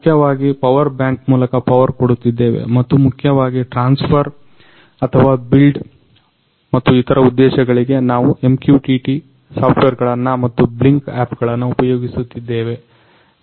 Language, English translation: Kannada, So, basically we are powering through our a power bank and to basically transfer or to build and for other purposes, we are using MQTT softwares and Blynk app